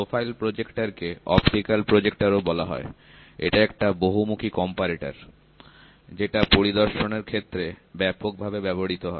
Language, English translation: Bengali, Profile projector is also called as optical projector; is a versatile comparator which is widely used for the purpose of inspection